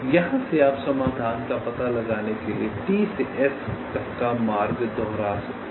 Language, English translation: Hindi, so from here you can retrace the path from t to s to find out the solution